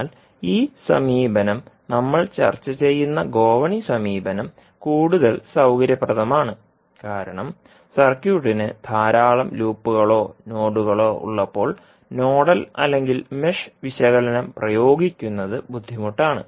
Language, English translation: Malayalam, But this approach, what is the ladder approach we discuss is more convenient because when the circuit has many loops or nodes, applying nodal or mesh analysis become cumbersome